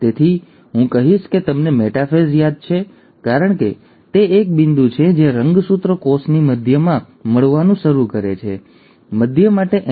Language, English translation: Gujarati, So I would say you remember metaphase as it is a point where the chromosome starts meeting in the middle of a cell, M for middle